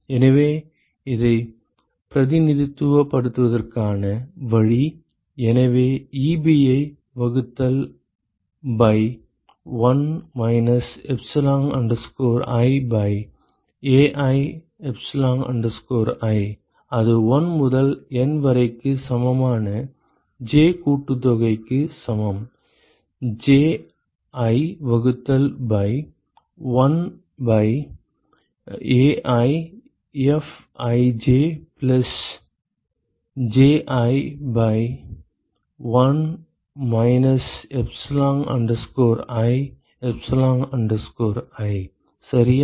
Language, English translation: Tamil, So, the way to represent this is: so Ebi divided by 1 minus epsilon i by Ai epsilon i that is equal to sum j equal to 1 to N, Ji divided by 1 by AiFij plus Ji by 1 minus epsilon i epsilon i ok